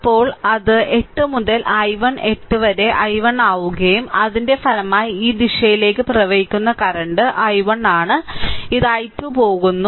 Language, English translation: Malayalam, Then it will be 8 into i 1 8 into i 1 and resultant current flowing in this direction it is i 1 this is going i 2